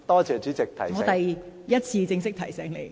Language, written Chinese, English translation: Cantonese, 這是我第一次正式提醒你。, This is my first formal reminder to you